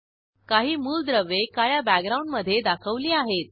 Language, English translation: Marathi, Some elements are shown in black background